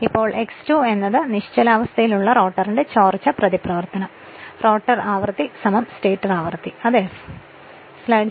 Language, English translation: Malayalam, Now when X 2 is equal to leakage reactance of the rotor at stand still, that is rotor frequency is equal to stator frequency of the time right so it is f